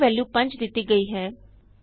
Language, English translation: Punjabi, a is assigned the value of 5